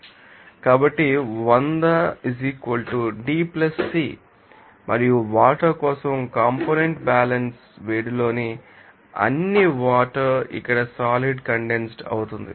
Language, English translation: Telugu, So, 100 = D + C and component balance for water all water in the heat is here condensed